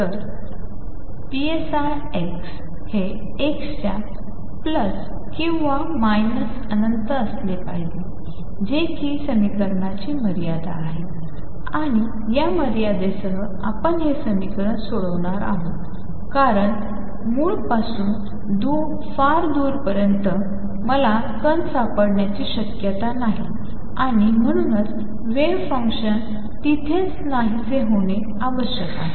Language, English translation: Marathi, So, psi x as x goes to plus or minus infinity should be 0 that is a boundary condition we are going to solve this equation with because far away from the origin is hardly any chance that I will find the particle and therefore, the wave function must vanish there